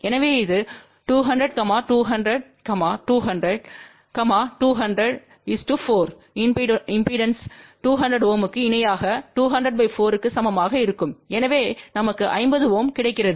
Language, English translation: Tamil, So, this is 200 200 200 200 4 impedances of 200 ohm in parallel will be equivalent to 200 divided by 4, so we get 50 ohm